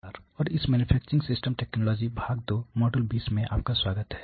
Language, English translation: Hindi, Hello and welcome to this manufacturing systems technology part 2 module 20